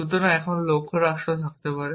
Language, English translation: Bengali, So, I can now have goal state